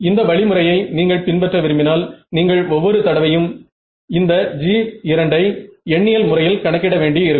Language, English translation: Tamil, So, you if you want to use this approach, you will have to numerically calculate this G 2 every time